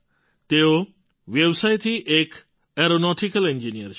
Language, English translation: Gujarati, By profession he is an aeronautical engineer